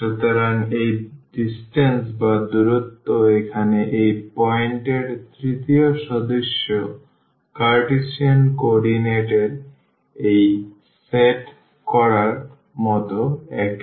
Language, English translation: Bengali, So, that distance the third member of this point here is the same as this set in the Cartesian coordinate